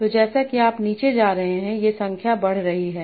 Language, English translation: Hindi, So as you are going down, these numbers are increasing